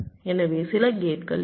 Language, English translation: Tamil, right, so there will be some gates